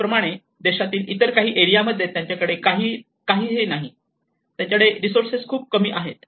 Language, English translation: Marathi, Similarly, in some other part of the country, they do not have anything, but they have very less resources